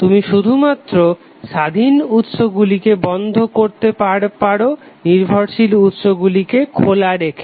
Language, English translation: Bengali, So you will only switch off independent sources while keeping dependent sources on